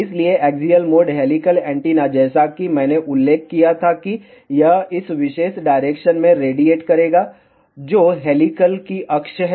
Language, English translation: Hindi, So, axial mode helical antenna as I had mentioned that, it will radiate in this particular direction, which is the axis of the helix